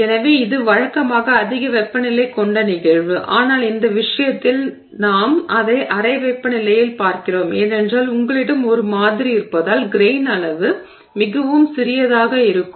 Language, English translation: Tamil, So, this is usually a high temperature phenomenon but in this case we happen to be seeing it at room temperature simply because you have a sample where the grain size is extremely small